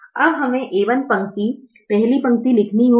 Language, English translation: Hindi, now we have to write the a, one row, the first row